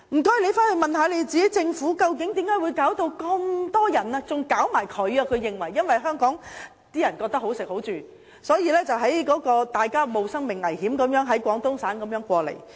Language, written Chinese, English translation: Cantonese, 公安廳更認為他們都受到這個問題影響，因為那些人認為香港"好食好住"，所以便冒着生命危險從廣東省過來。, The Public Security Bureau thinks that it is also being affected by this problem because these people risk their lives to come to Hong Kong via the Guangdong Province under the impression that they can have better food and accommodation in Hong Kong